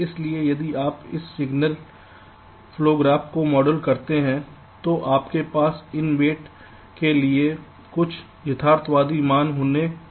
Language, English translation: Hindi, so if you model this signal flow graph, one thing: when you model this signal flow graph, you have to have some realistic values for this weights